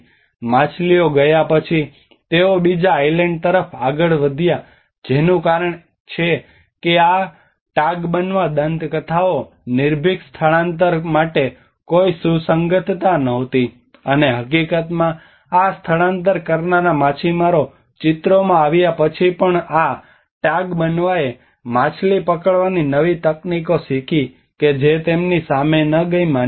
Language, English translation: Gujarati, With the fish gone, they move on to another Island that is what so these Tagbanwa myths were no relevance to the fearless migrant, and in fact with these migrated fishermen coming into the picture even this Tagbanwa learned new fishing techniques that did not go against their beliefs